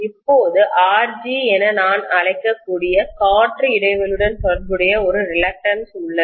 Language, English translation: Tamil, Now there is one more reluctance which is corresponding to the air gap which I may call as Rg